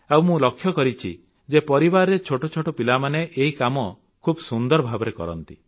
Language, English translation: Odia, I have seen that small children of the family do this very enthusiastically